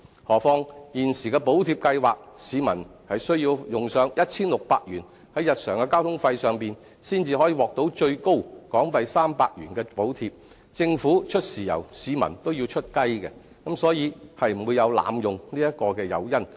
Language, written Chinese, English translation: Cantonese, 何況，就現時的補貼計劃，市民須花上 1,600 元於日常交通費上，才可獲最高港幣300元的補貼，政府出"豉油"，市民也要出"雞"，所以不會有濫用的誘因。, Furthermore under the existing Subsidy Scheme a citizen has to spend 1,600 on transportation before he can obtain 300 the maximum level of subsidy . When the Government is providing the subsidy the citizens need to spend a much larger sum beforehand and thus there is no incentive for abuse